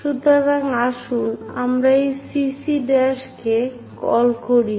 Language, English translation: Bengali, So, let us call this CC prime